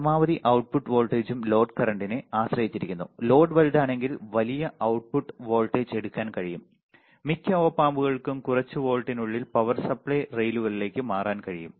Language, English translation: Malayalam, The maximum output voltage also depends on the load current right, the smaller the load the output can go higher with a larger load right, most of the Op Amps can swing output to within a few volts to power supply rails